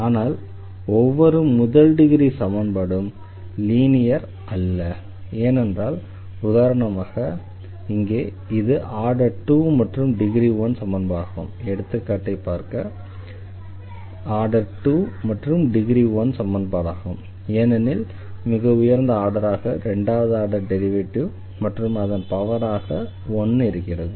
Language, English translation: Tamil, But every first degree equation may not be linear, because for instance here this is the second order equation and the degree is one here because the degree is defined as this higher the degree of the highest order term